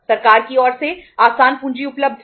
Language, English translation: Hindi, Easy capital was available from the government